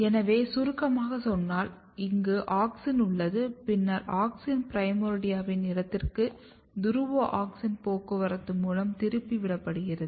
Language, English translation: Tamil, If I summarize here you have auxin and then auxin is getting diverted in the site of primordia through the polar auxin transport